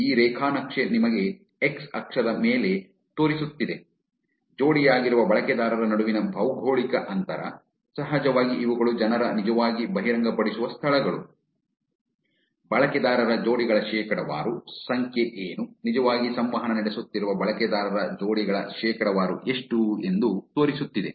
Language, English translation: Kannada, This graph is showing you on the x axis, geo distance between the paired users, of course these are the locations that people actually disclose, percentage of user pairs, what is a number, what is the percentage of user pairs which are actually interacting